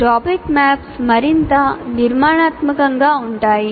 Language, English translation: Telugu, And topic maps are further more structure